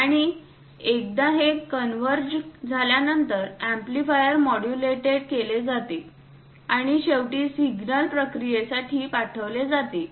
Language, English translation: Marathi, And once this is converged is amplifiers modulated and finally send it for signal processing